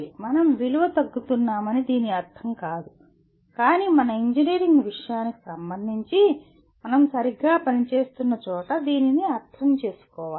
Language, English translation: Telugu, It does not mean that we are devaluing but we should understand with respect to our engineering subject where exactly we are operating